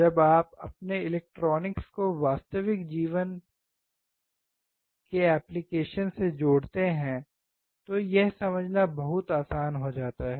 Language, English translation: Hindi, When you connect your electronics with real life applications, it becomes extremely easy to understand